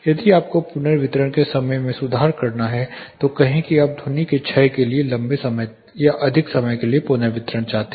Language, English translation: Hindi, If you have to improve the reverberation time say you have to typically longer reverberation times are longer time for decay of sound